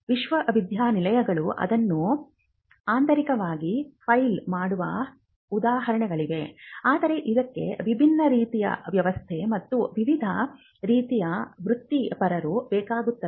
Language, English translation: Kannada, There are instances where the universities can also file it internally, but it will require a different kind of a setup and different kind of professionals to do that